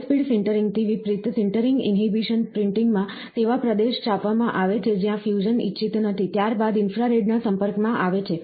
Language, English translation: Gujarati, In contrast to high speed sintering, the sintering inhibition is printing, is printed in a region, where fusion is not desired, followed by the exposure of the infrared